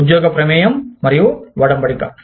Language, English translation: Telugu, Job involvement and engagement